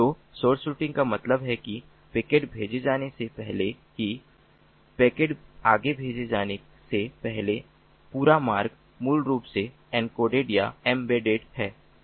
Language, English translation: Hindi, so source routing means that even before the packet is sent, the entire route is basically encoded or embedded before the packet is sent forward